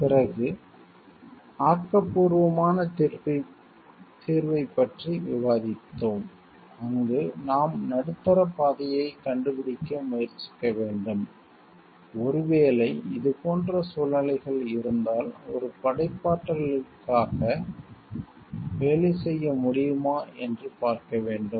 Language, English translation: Tamil, Then you have discussed about the creative solution, where you have to try to find out the middle path so, that maybe if it is situations like this then whether we can work for a creative one